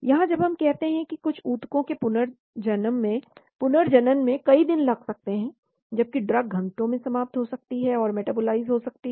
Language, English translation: Hindi, Here, when we say time regeneration of some tissues may take days, whereas drug can get eliminated and metabolized in hours